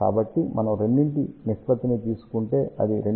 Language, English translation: Telugu, So, if we take the ratio of the two that comes out to be 2